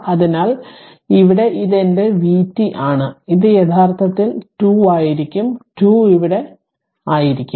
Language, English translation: Malayalam, So, here this is my vt actually it will be 2 2 will be somewhere here right